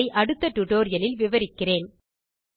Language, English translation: Tamil, We will continue this discussion in the next tutorial